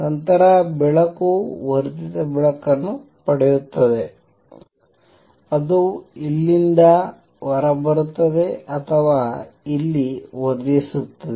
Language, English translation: Kannada, Then the light gets amplified light which comes out of here or here would be amplified